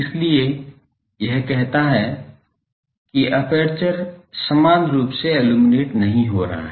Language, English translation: Hindi, So, that says that the aperture is not getting uniformly illuminated